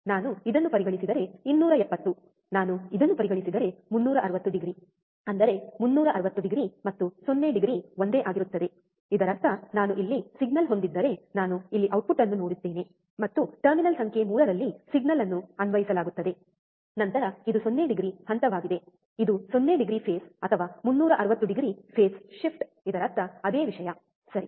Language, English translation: Kannada, If I consider this one, 270 if I consider this one, 360 degree; that means, 360 degree and 0 degree is the same thing; that means that, if I have a signal here I see the output here and the signal is applied to terminal number 3, then this is 0 degree phase this is also 0 degree phase or 360 degree phase shift, it means same thing, right